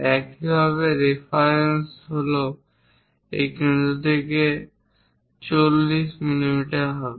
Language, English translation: Bengali, Similarly, the reference is this center is at 80 mm from this